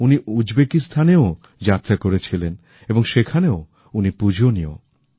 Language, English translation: Bengali, He is revered in Uzbekistan too, which he had visited